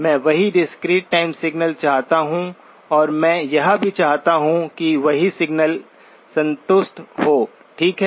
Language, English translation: Hindi, I want the same discrete time signal and I also want the same condition to be satisfied, okay